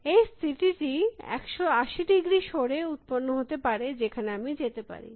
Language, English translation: Bengali, This state would have generated the 180 degree move, where I could have gone here